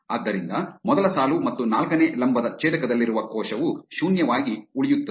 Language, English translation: Kannada, Therefore, the cell at the intersection of first row and fourth column remain 0